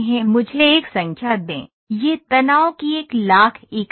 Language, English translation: Hindi, Let me put a number this is a million units of stress